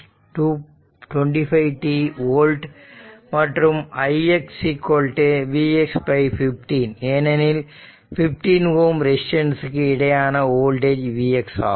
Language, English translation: Tamil, 5 t volt right and i x is equal to v x upon 15, because across this across 15 ohm resistance the voltage is v x